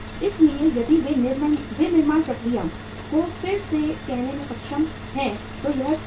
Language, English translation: Hindi, So if they are able to say readjust the manufacturing process then it is fine